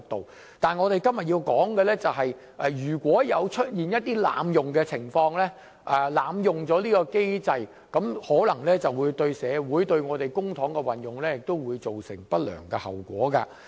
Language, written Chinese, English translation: Cantonese, 不過，我再三重申，我們的法援制度或支援，如果出現一些被濫用的情況，可能會對社會、對公帑運用造成不良後果。, However I have to reiterate that if there are cases of abuse of the legal aid system or support it may have adverse impact on society and the use of public money